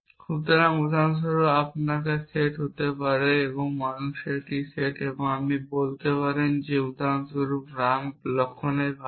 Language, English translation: Bengali, So, for example, you might have the set might be a set of people and you might say that for example, ram is a brother of laxman